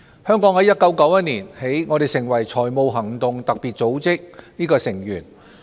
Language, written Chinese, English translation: Cantonese, 香港於1991年起成為財務行動特別組織的成員。, Hong Kong has become a member of the Financial Action Task Force FATF since 1991